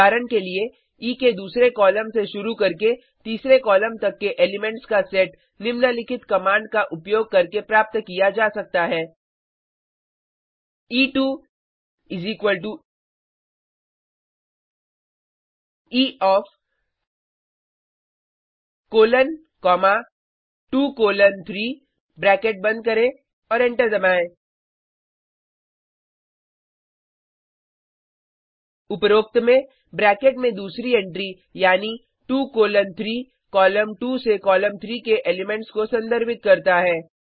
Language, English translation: Hindi, For example, the set of elements starting from second to third columns of E can be obtained using the following command: E2 = E of colon comma 2 colon 3 close the bracket and press enter In the above, the second entry in the bracket, that is, 2 colon 3 makes a reference to elements from column 2 to column 3